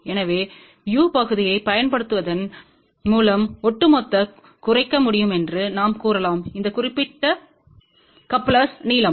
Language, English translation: Tamil, So, we can say that by using a u section, we can actually speaking reduce the overall length of this particular coupler